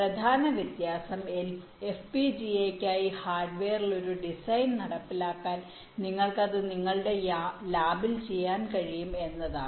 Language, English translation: Malayalam, the main difference is that to implement a design on the hardware for fpga, ah, you can do it in your lab